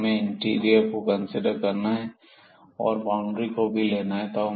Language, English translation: Hindi, So, we have to consider the interior and we have to also consider the boundaries when we have a closed and the bounded domain